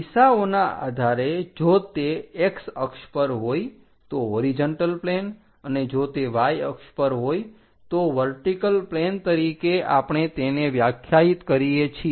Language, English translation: Gujarati, Based on the directions if it is on x axis horizontal plane, if it is on y axis vertical plane we will define